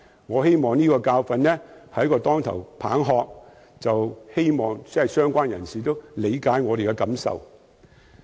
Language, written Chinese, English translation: Cantonese, 我希望這個教訓是一記當頭棒喝，也希望相關人士理解我們的感受。, I hope this lesson is a wake - up call and the relevant persons would understand our feelings